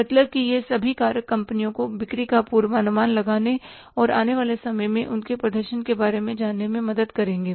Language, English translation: Hindi, All these misfactors are going to help the companies to forecast the sales and to know about their performance in the period to come